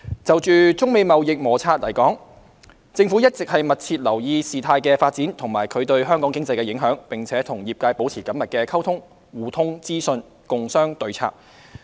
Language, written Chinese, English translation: Cantonese, 就中美貿易摩擦而言，政府一直密切留意事態發展及其對香港經濟的影響，並與業界保持緊密溝通，互通資訊，共商對策。, As far as the trade frictions between China and the United States are concerned the Government has been keeping a close track of developments and their impacts on the Hong Kong economy and it has maintained close communications with the industry to exchange information and discuss countermeasures